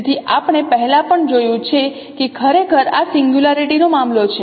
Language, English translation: Gujarati, So as we have seen earlier also that actually this is a case of singularity